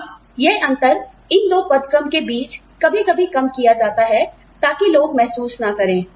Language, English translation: Hindi, Now, this gap, between, these two grades, is sometimes reduced, so that people, do not feel